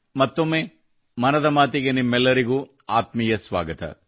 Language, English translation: Kannada, Once again, a very warm welcome to all of you in 'Mann Ki Baat'